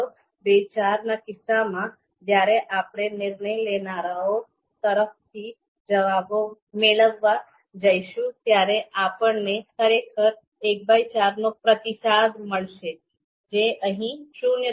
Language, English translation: Gujarati, 25 is actually when we go for seeking responses from decision maker, we would actually be getting one by four, so which is mentioned as 0